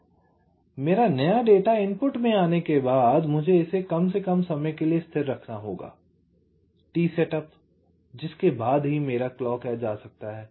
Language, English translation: Hindi, so after my new data has come to the input, i must keep it stable for a minimum amount of time: t set up only after which my clock edge can come